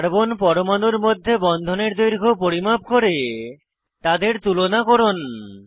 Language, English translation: Bengali, * Measure bond lengths between the carbon atoms